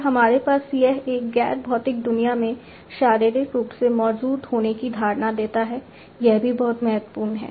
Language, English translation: Hindi, Then we have it gives the perception of being physically present in a non physical world this is also very important physically present in a non physical world